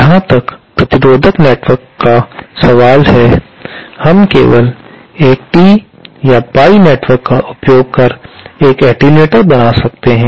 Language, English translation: Hindi, As far as resistive networks are concerned, we can make an attenuator simply using a T or pie network